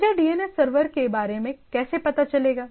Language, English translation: Hindi, How do I know that DNS server